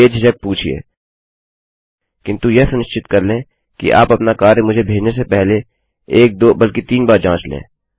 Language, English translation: Hindi, Feel free to ask, but make sure you check your work once, twice or even thrice before you send me anything